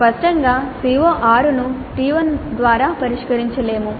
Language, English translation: Telugu, Evidently CO6 cannot be addressed by T1